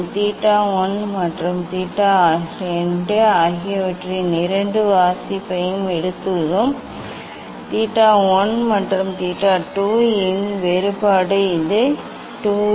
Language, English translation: Tamil, we have taken 2 reading theta 1 and theta 2, difference of theta 1 and theta 2 was this 2 A